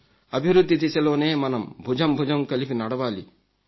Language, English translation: Telugu, We have to walk together towards the path of development